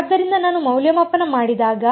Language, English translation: Kannada, So, when I evaluate